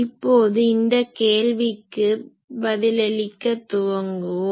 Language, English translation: Tamil, Now, today we will first start with answering that question